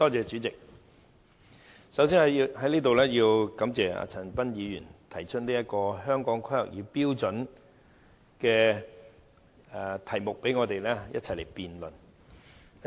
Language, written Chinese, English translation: Cantonese, 主席，首先在此要感謝陳恒鑌議員提出有關《香港規劃標準與準則》的議題，讓我們可一起辯論。, President first of all I would like to thank Mr CHAN Han - pan for moving the motion on the Hong Kong Planning Standards and Guidelines HKPSG so that we are able to engage in this debate